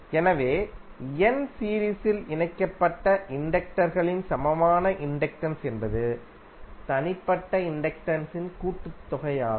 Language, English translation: Tamil, So, equivalent inductance of n series connected inductors is some of the individual inductances